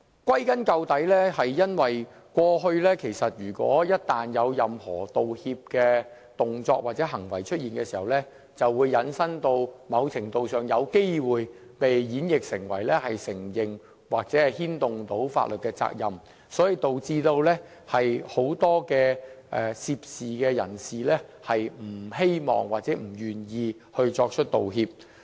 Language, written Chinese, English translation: Cantonese, 歸根究底，是因為過去一旦出現任何道歉的動作或行為時，便會在某程度上有機會被引申或演繹成為承認或牽涉法律責任。因此，導致很多涉事人士不願意作出道歉。, The root cause of this is that all along any acts or actions of apology or gestures made by medical staff previously were to some extent likely conceived or construed as an admission or involvement of legal liability